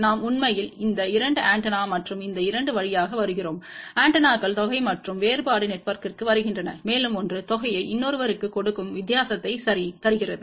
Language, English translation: Tamil, We actually come through these 2 antenna and this 2 antennas come to the sum and difference network, and one will give the sum another one gives the difference ok